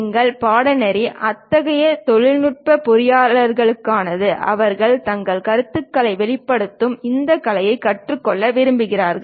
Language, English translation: Tamil, And our course is meant for such technical engineers who would like to learn this art of representing their ideas